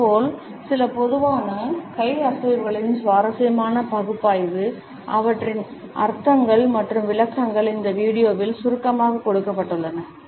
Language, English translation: Tamil, Similarly, we find that an interesting analysis of some common hand movements and their meanings and interpretations are succinctly given in this video